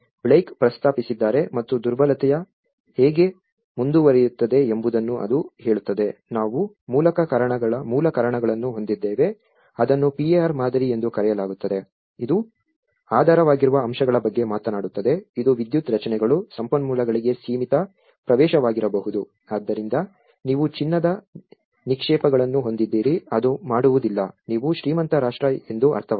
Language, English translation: Kannada, Proposed by Blaikie and it says how the vulnerability progresses we have the root causes it is called the PAR model, it talks about the underlying factors, it could be the limited access to power structures, resources, so you have the gold reserves, it doesn’t mean you are rich nation